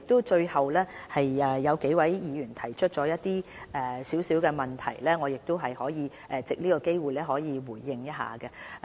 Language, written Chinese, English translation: Cantonese, 最後，有數位議員提岀一些問題，我亦想藉着這個機會作出回應。, Before I stop I would like to take this opportunity to respond to some questions raised by Members